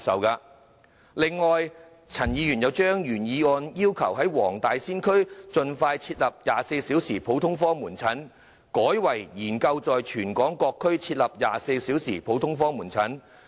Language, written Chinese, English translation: Cantonese, 此外，陳議員又把原議案要求"盡快在黃大仙區設立 ......24 小時普通科門診服務"改為"研究在全港各區設立24小時普通科門診服務"。, Furthermore Dr CHAN has in his amendment again requested that expeditiously introducing 24 - hour general outpatient services in the Wong Tai Sin district be replaced by studying the introduction of 24 - hour general outpatient services in various districts in Hong Kong